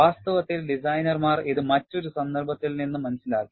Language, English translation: Malayalam, In fact, designers have understood it from a different context